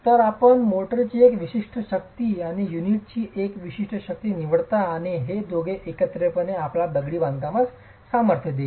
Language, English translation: Marathi, So you choose a certain strength of motor and a certain strength of unit and these two together are going to give you a strength of the masonry